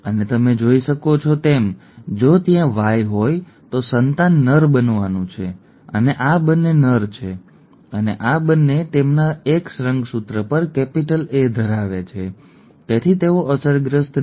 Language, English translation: Gujarati, And as you can see the, if there is a Y, the offspring is going to be a male, both these are males and both these have the capital A on their X chromosome so therefore they are unaffected